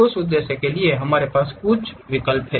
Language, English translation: Hindi, For that purpose we have some of the options